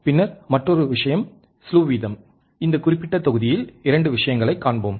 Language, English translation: Tamil, And then another point is slew rate, 2 things we will see in this particular module